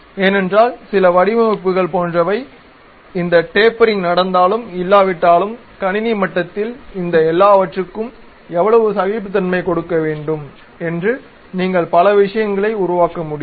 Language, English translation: Tamil, Because some of the designs like for example, whether this tapering happens or not, how much tolerance has to be given all these things at computer level you can construct many things